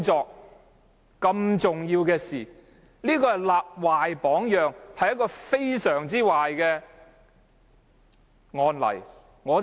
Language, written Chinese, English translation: Cantonese, 這是多麼重要的事，他立壞榜樣，這是非常差勁的案例。, That is a very important matter . LEUNG Chun - ying set a bad example and a very bad precedent